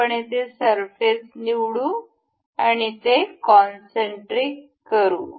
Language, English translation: Marathi, We will select the surface here and it fixes as concentric